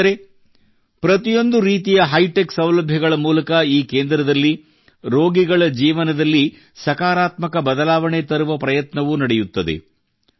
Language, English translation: Kannada, Friends, through all kinds of hitech facilities, this centre also tries to bring a positive change in the lives of the patients